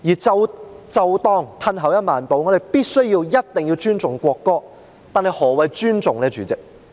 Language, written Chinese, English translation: Cantonese, 即使退後一萬步，若我們必須尊重國歌，但何謂尊重？, And if at the very least we must respect the national anthem what does it mean by respect?